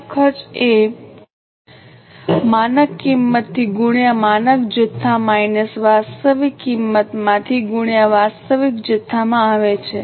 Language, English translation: Gujarati, The standard cost is arrived by standard quantity into standard price minus actual quantity into actual price